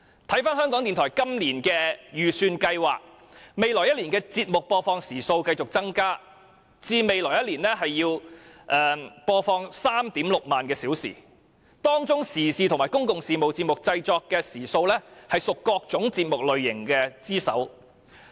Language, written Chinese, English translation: Cantonese, 看回港台今年的預算計劃，未來1年的節目播放時數繼續增加至 36,000 小時，當中時事及公共事務節目的製作時數為各節目類型之首。, In the coming year the number of hours of transmission will continue to increase to 36 000 hours with public and current affairs programmes having the highest hours of output among all types of programmes